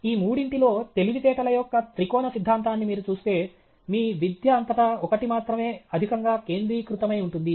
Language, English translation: Telugu, But if you see the triarchic theory of intelligence, out of the three, only one is excessively focused in all your education